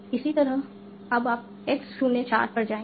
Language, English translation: Hindi, Similarly, now, you will go to X04